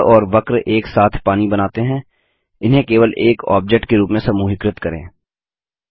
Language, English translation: Hindi, The triangle and the curve together create water, lets group them as a single object